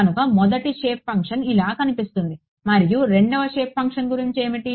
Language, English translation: Telugu, So, this is what the first shape function looks like what about the second shape function